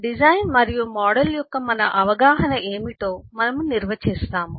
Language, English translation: Telugu, we will define what is our understanding of design and that of a model